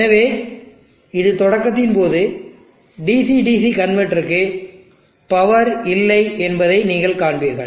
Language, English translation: Tamil, So during this start you will see that there is no power for the DC DC converter